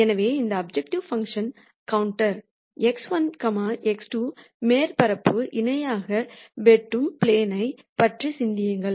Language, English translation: Tamil, So, think about a plane that cuts this objective function plot parallel to the x 1, x 2 surface